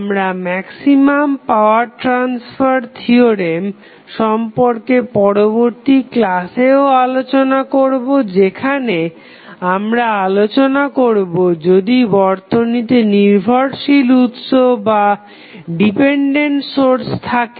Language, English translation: Bengali, We will continue our discussion on maximum power transfer theorem in next class also, where we will discuss that in case the dependent sources available in the circuit